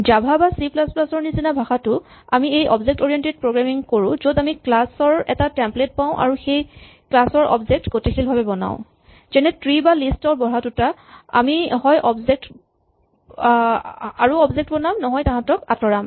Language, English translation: Assamese, Even in languages like Java and C++, we would do this object oriented style where we would have a template for a class and then we would create object of this class dynamically as a tree or list grows and shrinks, we will create more objects or remove them